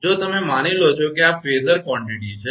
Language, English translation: Gujarati, If you take suppose this is phasor quantity